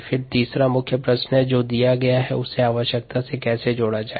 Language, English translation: Hindi, then the third main question: how to connect what is needed to what is given